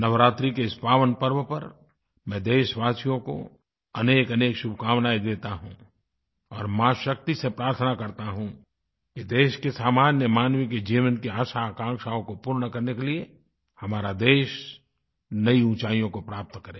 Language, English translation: Hindi, On this pious occasion of Navratri, I convey my best wishes to our countrymen and pray to Ma Shakti to let our country attain newer heights so that the desires and expectations of all our countrymen get fulfilled